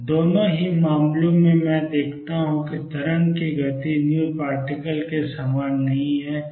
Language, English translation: Hindi, In both the cases I see that the wave speed is not the same as v particle